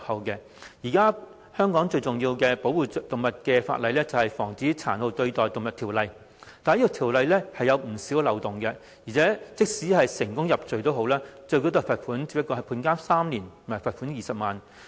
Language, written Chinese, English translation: Cantonese, 現時香港最主要保護動物的法例，是《防止殘酷對待動物條例》，但《條例》有不少漏洞，而且即使成功入罪，最高罰則只是判監3年、罰款20萬元。, The major legislation for the protection of animals in Hong Kong is the Prevention of Cruelty to Animals Ordinance but the Ordinance is riddled with loopholes . Besides the maximum penalty for a convicted offence is only three years of imprisonment and a fine of 200,000